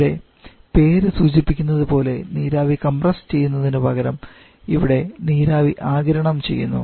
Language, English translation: Malayalam, And as the name suggest here is your compressing the vapour we are actually going to absorb the vapour